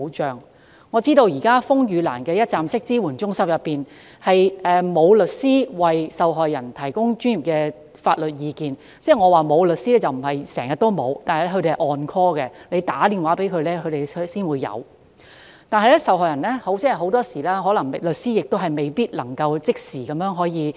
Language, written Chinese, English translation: Cantonese, 據我所知，現時風雨蘭的一站式支援中心並無律師為受害人提供專業法律意見，我的意思並不是說中心內整天均無律師在場，但律師只會奉召到場，以致很多時均無律師可即時現身協助受害人。, To my knowledge lawyer service is not available now in the one - stop support centre run by RainLily to provide professional legal advice to victims . In saying so I do not mean that no lawyer is present in the centre the whole day but as lawyers are put on call only lawyer service is not readily available most of the time to assist the victims